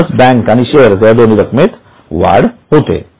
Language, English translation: Marathi, So, add to bank, add to equity shares